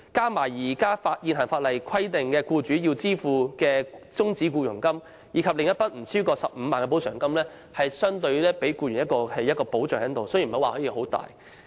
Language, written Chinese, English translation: Cantonese, 這筆款項加上現行法例規定僱主支付的終止僱傭金，以及一筆不超過 150,000 元的補償金，雖然並非很大的補償，但也算是對僱員的一種保障。, This sum as well as the terminal payments and the compensation not exceeding 150,000 are required to be paid by employers under the current legislation . Though the amount of compensation is not huge it can be considered as a kind of protection to employees